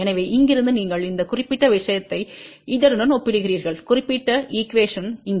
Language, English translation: Tamil, So, from here you compare this particular thing with this particular equation over here